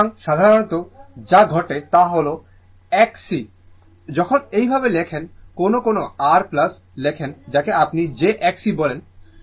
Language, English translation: Bengali, So, generally what happen that X c when we write like this, sometimes we write R plus your what you call j X c